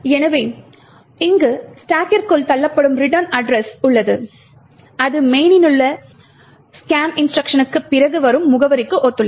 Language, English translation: Tamil, So, there is the return address pushed into the stack this corresponds to the address soon after the scan instruction in the main